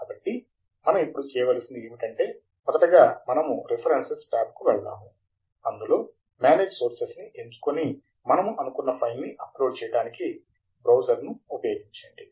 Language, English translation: Telugu, So what we now need to do is, initially we go to the References tab, Manage Sources, and use the Browse button to pick up the file